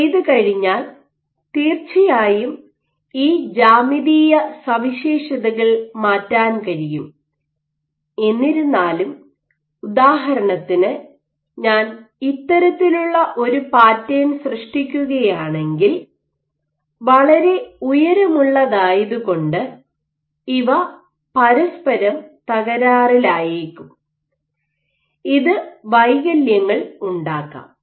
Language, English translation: Malayalam, So, of course, what you can tweak is these geometrical features; however, you would intuitively expect for example if I am making this kind of a pattern, but these are very tall these features you might have defects where these actually collapse onto each other